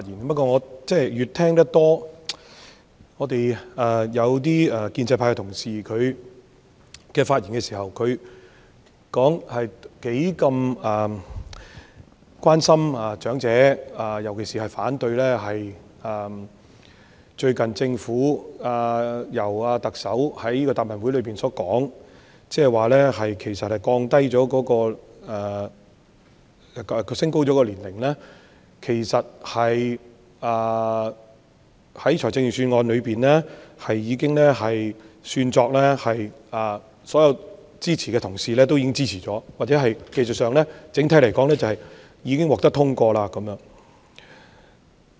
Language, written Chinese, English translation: Cantonese, 不過，我聽到建制派同事在發言時表示他們是如何關心長者，尤其反對最近特首在答問會上表示，其實所有支持財政預算案的同事也是被視為支持提高申領長者綜合社會保障援助年齡的措施，又或者說在技術上，整體來說，建議已經獲得通過。, However I heard Honourable colleagues of the pro - establishment camp say in their speeches how they care about the elderly . In particular they oppose the Chief Executives recent remark in the Question and Answer Session that actually all the Honourable colleagues who supported the Budget are regarded as also supportive of the measure of raising the eligibility age for elderly Comprehensive Social Security Assistance CSSA . Or technically speaking the proposal has already been passed as a whole